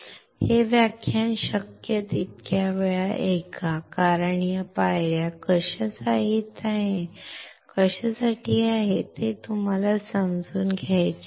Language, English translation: Marathi, Listen to this lecture as many times as you can because you have to understand what these steps are for